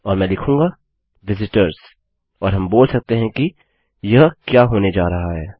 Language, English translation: Hindi, And Ill say visitors and we can tell what this is going to be